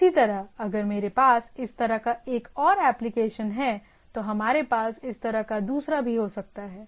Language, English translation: Hindi, Similarly, if I have another this applications so, we can have another like this, right